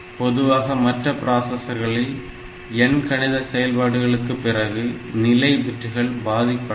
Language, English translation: Tamil, So, normally we have seen that in other processors is arithmetic operation they affect the status bits um